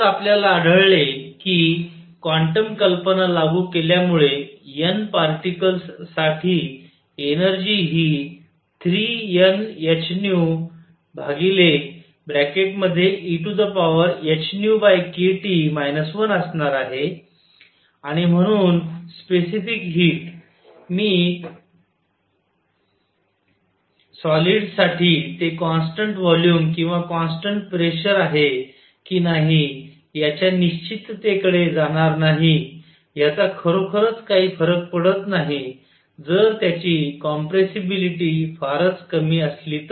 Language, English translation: Marathi, So, we found applying quantum ideas energy for N particles is going to be 3 N h nu over e raise to h nu over k T minus 1 and therefore, specific heat; I am not going to the certainties of whether it is constant volume or constant pressure for solids, it does not really matter if their compressibility is very small